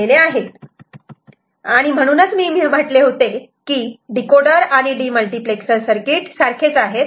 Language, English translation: Marathi, So, that is why I said that decoder and demultiplexer circuit is essentially same